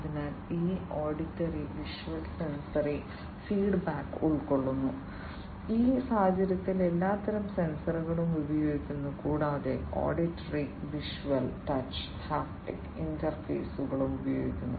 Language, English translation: Malayalam, So, it incorporates auditory and visual sensory feedback all kinds of sensors are used in this case also auditory, visual, touch haptic interfaces are also used